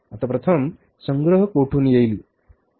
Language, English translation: Marathi, Now, first collection will come from where